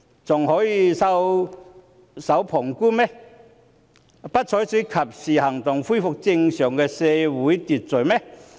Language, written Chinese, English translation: Cantonese, 還可以袖手旁觀，不採取及時行動，恢復正常的社會秩序嗎？, Can they still sit there with folded arms and take no actions in a timely manner to restore law and order?